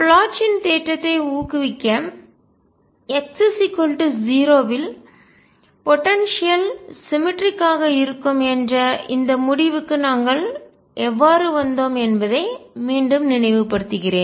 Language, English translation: Tamil, To motivate Bloch’s theorem let me recall again how did we arrived at this conclusion for the potential which was symmetric about x equals 0